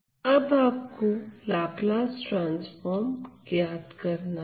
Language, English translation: Hindi, So, now, you have to find the Laplace transform of